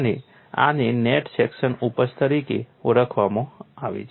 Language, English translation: Gujarati, And this is known as net section yielding